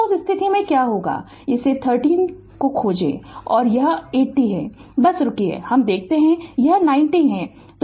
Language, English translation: Hindi, So, in that case what will happen that you find this 30 ohm and this is your ah 80 ah it is just hold on let me see this is 90 ohm right